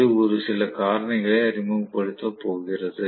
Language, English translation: Tamil, It is going to introduce a few factors